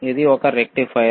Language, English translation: Telugu, It is a rectifier, right